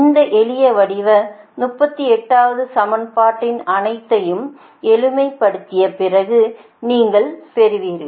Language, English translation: Tamil, equation thirty eight: this simple form of these equation you will get right after simplifying all this